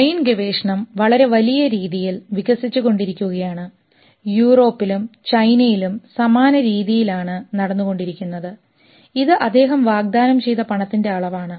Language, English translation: Malayalam, Brain research through advancing and a similar thing is going on in China, in Europe and this is the amount of money he has promised